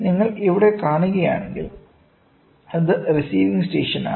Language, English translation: Malayalam, So, if you see here, it is the receiving station, ok